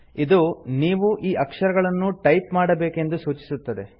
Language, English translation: Kannada, You are required to type these letters